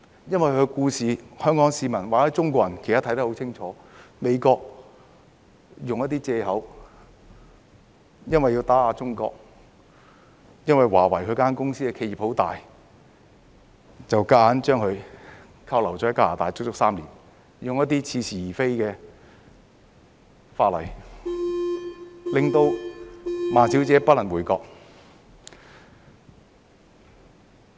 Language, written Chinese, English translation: Cantonese, 因為她的故事，香港市民或中國人其實都看得很清楚，就是美國用一些藉口，因為要打壓中國，因為華為這家企業很大，便硬把她扣留在加拿大足足3年，用一些似是而非的法例，令孟女士不能回國。, It is because the public of Hong Kong or the Chinese people have in fact clearly seen from her story that for the purpose of suppressing China as Huawei is a very big enterprise the United States used some excuses to high - handedly detain Ms MENG for three full years in Canada where some specious laws were invoked to prevent her from returning to China